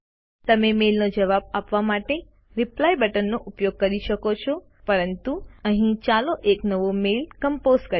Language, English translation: Gujarati, You can use the Reply button and reply to the mail, but here lets compose a new mail